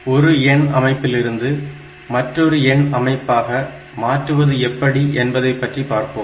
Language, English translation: Tamil, So, this way we can convert from one number system to another number system